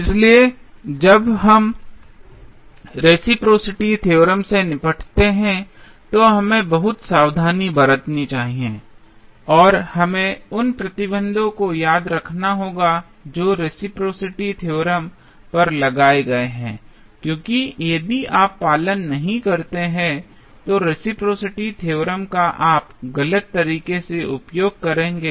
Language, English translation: Hindi, So, we have to be very careful when we deal with the reciprocity theorem and we have to keep remembering the restrictions which are imposed on the reciprocity theorem because if you do not follow then the reciprocity theorem you will use wrongly and that may lead to a serious erroneous result in the circuit